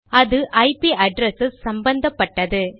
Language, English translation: Tamil, It deals with IP addresses